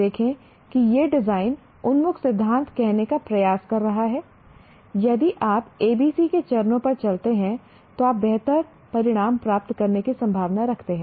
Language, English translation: Hindi, See, it is trying to say design oriented theory means if you do the steps A, B, C, you are likely to lead to a better result